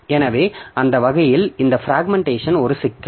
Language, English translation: Tamil, So, that way this fragmentation is a problem